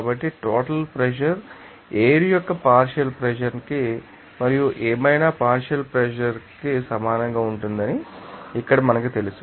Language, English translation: Telugu, So, here we know that total pressure will be equal to what partial pressure of air and partial pressure of whatever